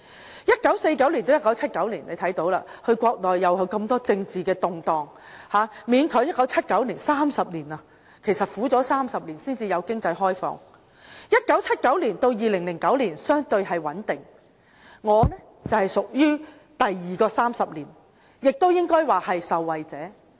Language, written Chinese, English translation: Cantonese, 在1949年到1979年，眾所周知，國內有很多政治動盪，勉強到1979年，苦了30年才有經濟開放；在1979年到2009年相對穩定，我是屬於第二個30年，亦應該說是受惠者。, It is widely known that the country was full of political upheavals between 1949 and 1979 . After hanging on for three decades the country finally opened up its economy in 1979; the period between 1979 and 2009 was relatively stable . I belong to the second 30 - year period and one can fairly say that I am a beneficiary of this